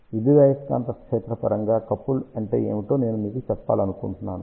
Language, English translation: Telugu, I just want to tell you what is electromagnetically coupled